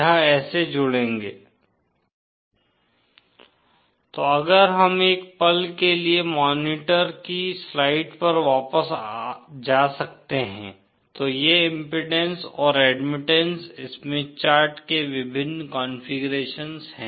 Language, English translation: Hindi, So if we can go back to the slides the monitor for a moment, these are the various configurations of the impedance and admittance Smith charts